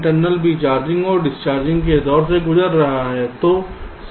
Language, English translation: Hindi, so v internal will also be going through a charging and discharging phase